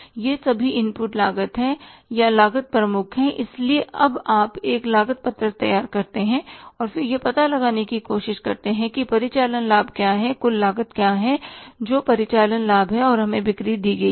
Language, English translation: Hindi, So now you prepare a cost sheet and then try to find out what is operating profit, what is the total cost what is operating profit and we are given the sales